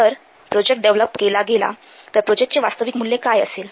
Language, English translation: Marathi, If the project will be developed, what will the value of the project